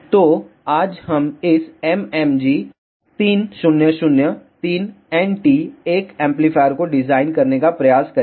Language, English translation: Hindi, So, today we will try to design this MMG 3003NT1 amplifier